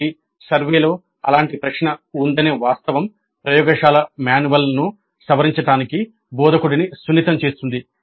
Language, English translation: Telugu, So the very fact that such a question is there in the survey might sensitize the instructor to revising the laboratory manual